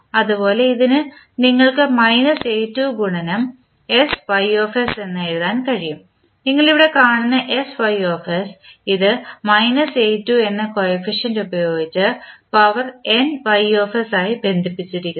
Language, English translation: Malayalam, Similarly, for this you can write minus a2 into sys so sys so you see here and this is connected with s to the power nys with the coefficient minus a2